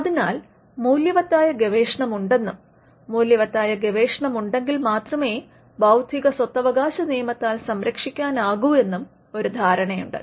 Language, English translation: Malayalam, So, there is an assumption that there is research that is valuable and only if there is research that is valuable, can that be protected by intellectual property rights